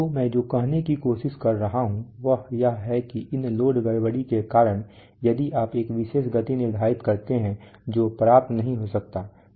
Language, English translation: Hindi, So what I am trying to say is that because of these load disturbances if you set a particular speed that may not be obtained